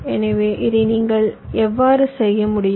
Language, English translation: Tamil, so how you can do this